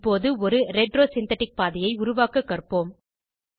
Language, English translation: Tamil, Now, lets learn to create a retro synthetic pathway